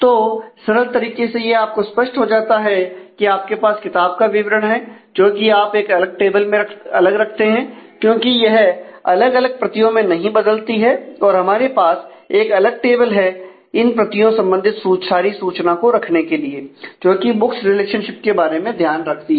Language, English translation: Hindi, So, intuitively becomes very clear that you have details of the book that you keep separate in a separate table, because that is not change across the copies and we have a separate table to maintain the specific information about the copies